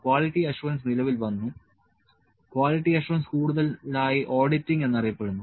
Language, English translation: Malayalam, So, the quality assurance came into place so, quality assurance was more known as auditing